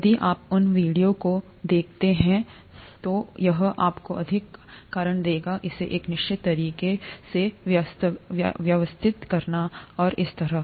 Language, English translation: Hindi, If you look at those two videos, it’ll give you more reasons for, organizing it a certain way, and so on